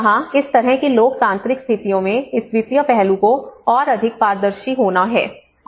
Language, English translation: Hindi, So that is where in a democratic situations like this financial aspect has to be more transparent